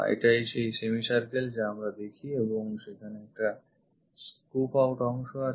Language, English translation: Bengali, This is the semicircle what we see and there is a scoop out region